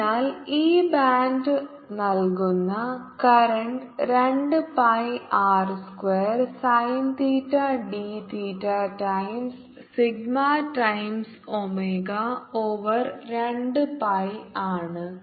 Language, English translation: Malayalam, so the current that this band is giving is nothing but two pi r square, sin theta, d theta times, sigma times, omega, over two pi